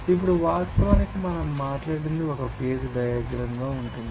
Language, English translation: Telugu, Now, what we actually talked about that there will be a phase diagram